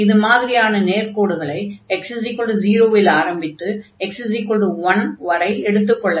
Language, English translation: Tamil, So, and then such lines will vary from x is equal to 0 to x is equal to 1